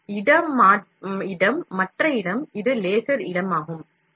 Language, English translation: Tamil, One spot, the other spot, this is a laser spot